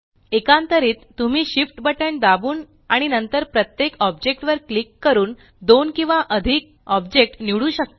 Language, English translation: Marathi, Alternately, you can select two or more objects by pressing the Shift key and then clicking on each object